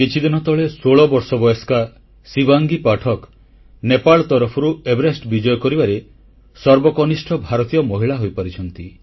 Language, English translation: Odia, Just a while ago, 16 year old Shivangi Pathak became the youngest Indian woman to scale Everest from the Nepal side